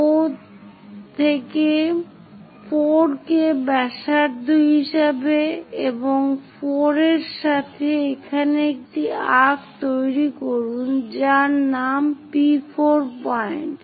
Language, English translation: Bengali, With O as center 4 as radius O to 4 make an arc here to name it P4 point